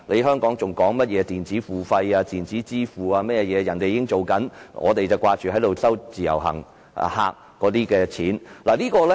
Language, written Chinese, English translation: Cantonese, 香港現在討論的電子付費或電子支付，內地早已實行，因為我們只顧賺自由行旅客的錢。, The types of electronic payment under discussion in Hong Kong have already been implemented in the Mainland because we only care about earning money from IVS visitors